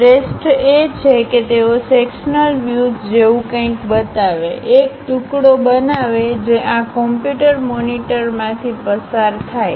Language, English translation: Gujarati, The best part is, they will represent something like a sectional view, making a slice which pass through this computer monitor